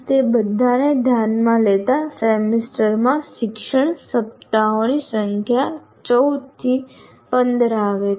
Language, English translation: Gujarati, So keep taking all that into account, the number of teaching weeks in a semester comes around to 14 to 15